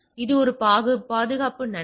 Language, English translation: Tamil, So, it is a security benefit